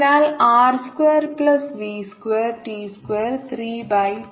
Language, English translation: Malayalam, r square divided by r squared plus v square, t square, three by two